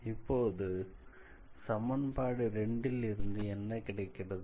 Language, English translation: Tamil, So, then from 2 we will have, what do we have